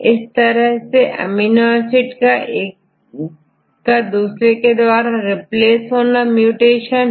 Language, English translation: Hindi, So, if you change or replace one amino acid by another amino acid and that is called mutation